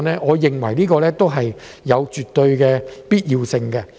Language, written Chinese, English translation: Cantonese, 我認為這絕對有必要。, I think this is absolutely necessary